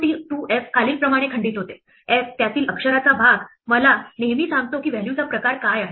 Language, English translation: Marathi, 2f breaks up as follows; the f, the letter part of it always tells me what the type of value is